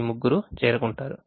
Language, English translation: Telugu, all three of them will reach